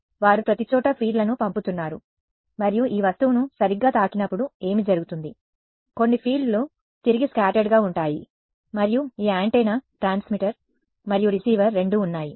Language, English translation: Telugu, So, they are sending fields everywhere, and what happens is when it hits this object right some of the fields will get scattered back, and this antenna both transmitter and receiver both are there